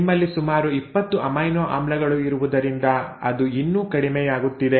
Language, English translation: Kannada, But that is still falling short because you have about 20 amino acids